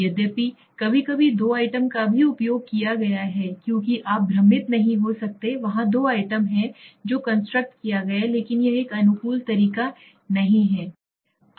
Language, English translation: Hindi, Although sometimes even 2 items have been used its not you might don t get confused because there have been 2 items which the construct has been made but that is not a favorable way okay